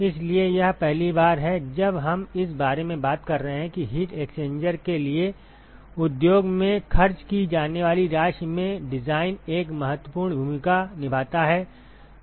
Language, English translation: Hindi, So, this is the first time we talk about where the design plays a strong role in the amount of money that is spent in in the industry for heat exchanger